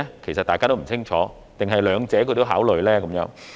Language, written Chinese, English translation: Cantonese, 其實大家都不清楚，還是兩者也是考慮因素呢？, Actually we do not know that too well . Or both factors are considered?